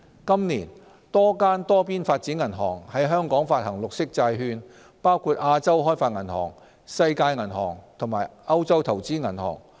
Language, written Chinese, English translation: Cantonese, 今年，多間多邊發展銀行於香港發行綠色債券，包括亞洲開發銀行、世界銀行及歐洲投資銀行。, A number of multilateral development banks namely the Asian Development Bank the World Bank and the European Investment Bank have issued green bonds in Hong Kong this year